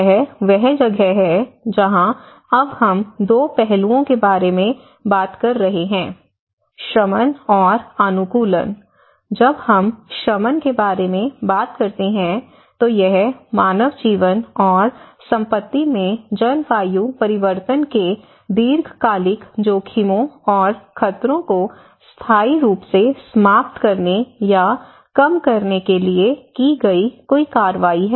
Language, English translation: Hindi, And this is where now we are talking about 2 aspects; one is the mitigation, and adaptation when we talk about mitigation, it is any action taken to permanently eliminate or reduce the long term risks and hazards of climate change to human life and property